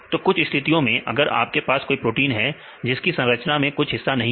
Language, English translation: Hindi, So, some a cases if you have a protein, some regions are missing in the structures